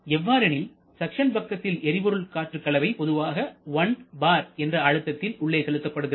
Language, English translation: Tamil, Because our suction side the fuel air mixture is generally supplied at a pressure of around 1 bar